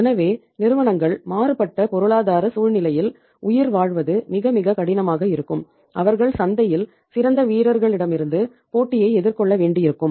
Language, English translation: Tamil, So in that case it was very very difficult for the firms to survive in a changed economic scenario where they have to face the competition from the best players in the market